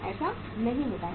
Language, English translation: Hindi, That does not happen